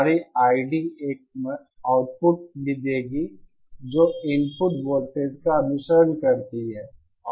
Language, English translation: Hindi, Our I D will also provide an output which follows the input voltage